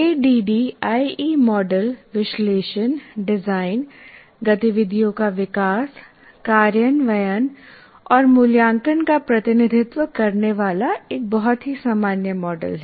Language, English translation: Hindi, And the ADI is a very generic model representing analysis, design, development, implement and evaluate activities